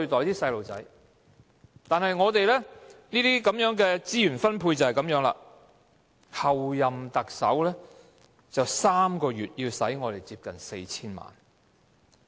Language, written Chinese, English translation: Cantonese, 然而，我們的資源分配就是這樣，候任特首可以在3個月內花費接近 4,000 萬元。, Yet this is the way our resources are allocated the Chief Executive - elect may spend almost 40 million in just three months